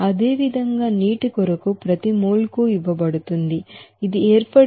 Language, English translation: Telugu, Similarly, for you know that for water, it is given per mole that heat of formation is 57